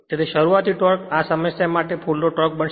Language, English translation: Gujarati, So, starting torque actually will becoming full load torque for this problem right